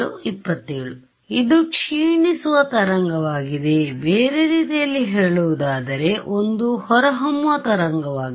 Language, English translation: Kannada, It is a decaying wave right so this is, in other words, an evanescent wave